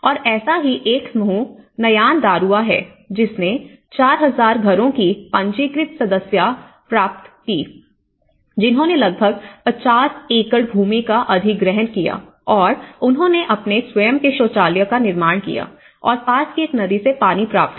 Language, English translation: Hindi, And one such group is Nyandarua registered membership of 4,000 households which has acquired about 50 acres land and they made their own makeshift latrines and obtained water from a nearby river